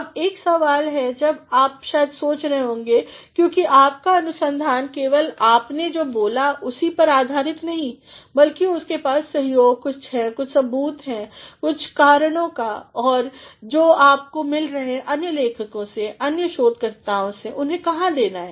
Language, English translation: Hindi, Now, one question you might be thinking of because your research is not only based on what you say, rather they are supported by some evidence and by some reasons, which you have got from other authors from other researchers where to give them